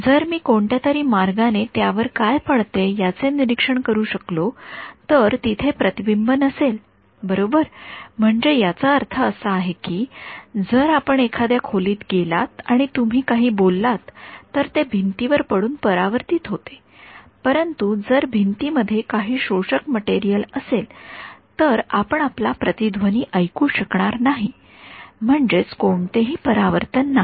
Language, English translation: Marathi, If I can somehow observe what falls on it there will be no reflection right I mean this simple example if you go to a room and you speak the walls reflect, but if the walls had some absorbing material you will not be able to hear your echo that means there is no reflection